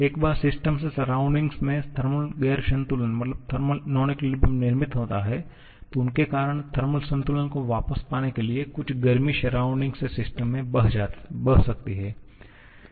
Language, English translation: Hindi, That is once the system is created because of its thermal non equilibrium in the surrounding, some heat can flow from the surrounding to the system to get the thermal equilibrium back